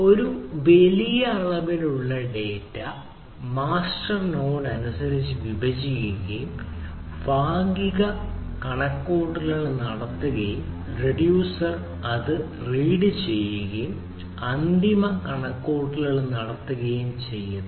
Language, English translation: Malayalam, so it is, if there is a huge volume of data, then the mapper ah, that the master node divides accordingly and do the partial computation and the reducer read it from and do the final computation